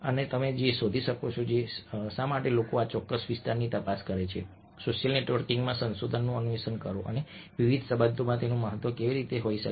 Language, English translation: Gujarati, you can also find a why people examine this particular area, explore research in social networking and how it can have significance in various contexts